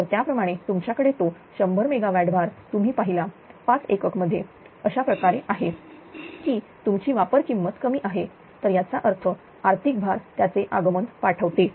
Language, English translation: Marathi, Then according to according to then you have to that 100 megawatt load you see are among the 5 units in such a fashion such that your operating cost will be minimum right, that means, economic load dispatch its coming